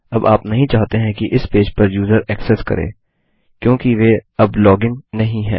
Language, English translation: Hindi, Now you dont want the users to get access to this page because they are not logged in right now